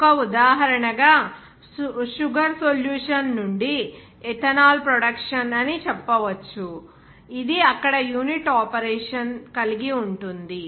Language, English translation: Telugu, As an example, you can say that the production of ethanol from a sugar solution; which involves a unit operation there